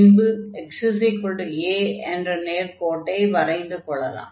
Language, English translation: Tamil, So, let us draw first this line and that will be x 0